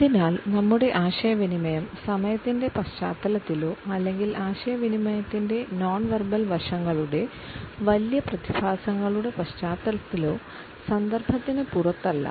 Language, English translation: Malayalam, So, our communication, in the context of time or in the context of the larger phenomena of nonverbal aspects of communication, is not outside the context